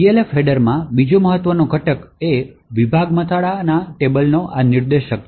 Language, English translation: Gujarati, So, another important component in the Elf header is this pointer to the section header table